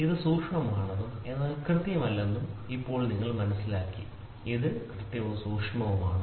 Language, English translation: Malayalam, Now you understood this is precise, but not accurate, this is precise and accurate